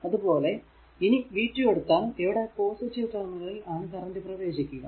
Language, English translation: Malayalam, Similarly, if you take v 2, the i 2 actually entering in to the positive terminal so, v 2 will be 6 i 2